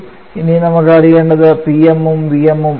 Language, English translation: Malayalam, We can get the value of Tm and Pm